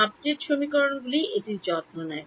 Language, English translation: Bengali, That the update equations take care of it